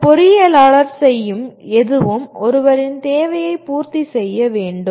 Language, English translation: Tamil, Anything that an engineer does, he is to meet somebody’s requirement